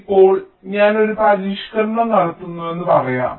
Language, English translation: Malayalam, so now, lets say i make a modification